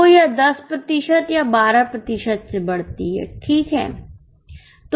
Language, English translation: Hindi, So, it increases either by 10% or by 12%